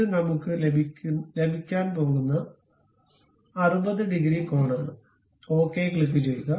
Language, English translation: Malayalam, It is 60 degrees angle we are going to have, click ok